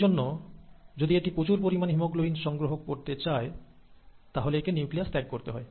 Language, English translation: Bengali, So if it wants to accommodate more and more amount of haemoglobin, it has to get rid of the nucleus